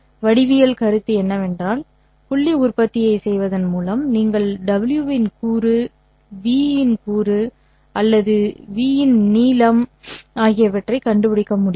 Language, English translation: Tamil, The geometric notion is that by performing the dot product you are able to find out the component of v or the length of the component of v along w